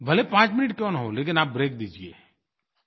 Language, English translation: Hindi, If only for five minutes, give yourself a break